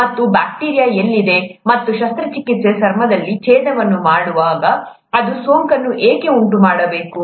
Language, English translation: Kannada, And, to, where is this bacteria and why should it cause infection when the surgeon is making an incision in the skin